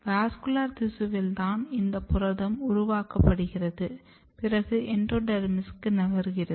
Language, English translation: Tamil, So, protein is made in the vascular tissues and it is moving to the endodermis